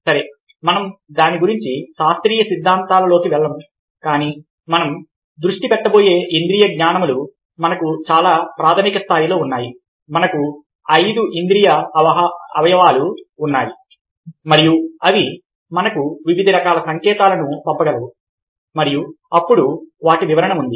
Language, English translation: Telugu, well, we will not go into scientific theories about it, but, ah, what we are going to focus on is a fact that, at a very basic level, we have sensations, we have five sense organs and they manage to send us various kinds of signals, and then there is interpretation